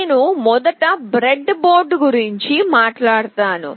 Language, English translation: Telugu, I will first talk about the breadboard